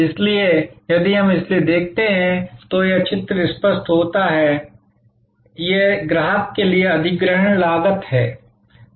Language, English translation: Hindi, So, if we look at therefore, this picture it becomes clearer, this is the acquisition cost for the customer